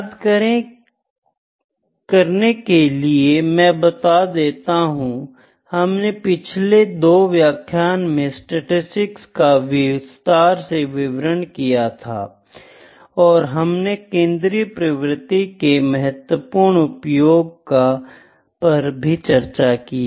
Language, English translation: Hindi, So, just recapitulate, we discussed this descriptive statistics in the last 2 lectures and we discussed the important measures of central tendency, ok